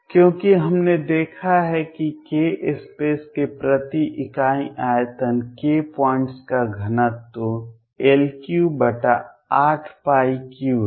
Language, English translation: Hindi, Because we have seen that per unit volume of k space the density of k points is L cubed over 8 pi cubed